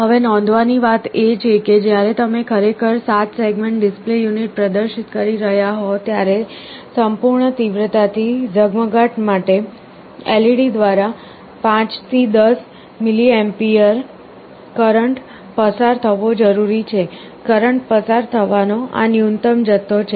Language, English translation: Gujarati, Now the point to note is that, when you are actually displaying a 7 segment display unit about 5 to 10 milliampere current is required to be passed through a LED for it to glow at full intensity; this is the minimum amount of current you have to pass